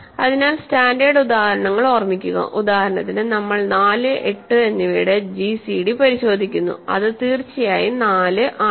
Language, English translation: Malayalam, So, the standard examples remember are for example, we check gcd of 4 and 8 then of course, it is 4